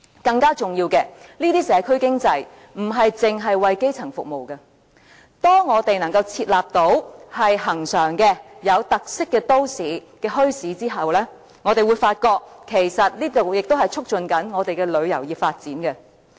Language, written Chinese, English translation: Cantonese, 更重要的是，這些社區經濟活動不止為基層服務，當我們能夠設立恆常和有特色的墟市後，我們會發覺其實亦同時在促進旅遊業發展。, More importantly if we can establish some permanent bazaars with local colours we will see that such local community economic activities can also promote tourism development apart from serving the grassroots